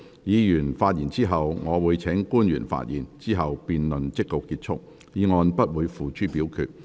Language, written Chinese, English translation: Cantonese, 議員發言後，我會請官員發言，之後辯論即告結束，議案不會付諸表決。, After Members have spoken I will call upon the public officer to speak . Then the debate will come to a close and the motion will not be put to vote